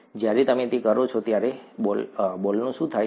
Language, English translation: Gujarati, When you do that, what happens to the ball